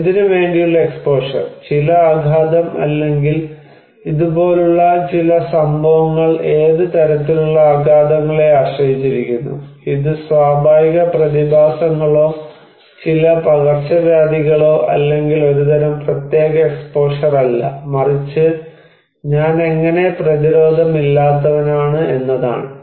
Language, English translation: Malayalam, So, exposure to what, some shock or some events like it depends on what kind of shocks, is it natural phenomena or some epidemics or not merely a kind of special exposure but how defenseless like I am for that one